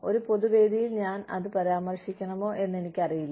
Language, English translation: Malayalam, I do not know, if I should be mentioning, it in a public forum